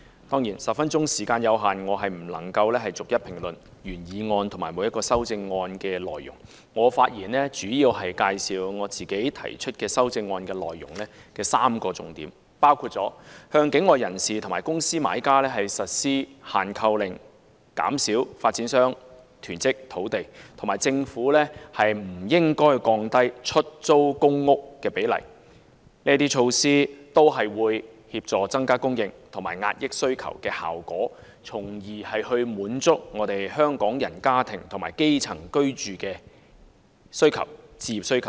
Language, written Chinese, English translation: Cantonese, 當然 ，10 分鐘的發言時間有限，我不能逐一評論原議案和各項修正案的內容，我發言主要介紹由我提出的修正案的3個重點，包括向境外人士和公司買家實施"限購令"、減少發展商囤積土地，以及政府不應該降低出租公屋的比例，因為這些措施都有協助增加供應和壓抑需求的效果，從而滿足香港人家庭和基層的居住和置業需求。, Due to the time constraint I am not able to comment on the original motion and all the amendments in 10 minutes . I will mainly focus on three key points in my amendment impose a purchase restriction on people and corporate buyers from outside Hong Kong; reduce land hoarding by developers; and refrain from lowering the proportion of public rental housing . These measures will help increase supply and suppress demand thus satisfy the housing and home ownership needs of Hong Kong households and grass roots